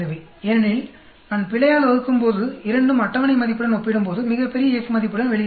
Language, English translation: Tamil, Because when I divide by the error both come out with the F value comes out to be very large, when compared to the table value